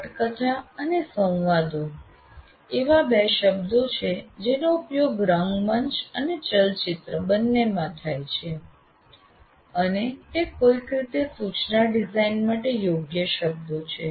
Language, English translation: Gujarati, So script and dialogues are the two words that are used, let us say, both in theater and movies, and they somehow, there are appropriate words for instruction design